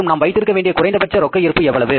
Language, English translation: Tamil, And what is the minimum cash balance which we want to retain also